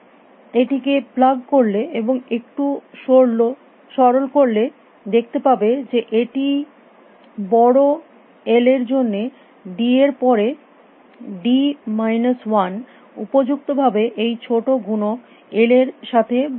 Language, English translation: Bengali, Plug it and do a little bit of simplification you will see that this is for large l d over d minus one appropriately this the small factor somewhere with I will leave out